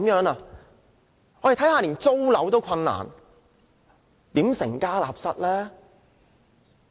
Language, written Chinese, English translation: Cantonese, 年輕人連租樓也有困難，如何成家立室呢？, Young people have difficulty even in paying the rents . How can they get married?